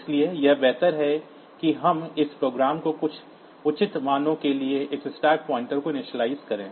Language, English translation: Hindi, So, it is better that we initialize this program this stack pointer to some proper values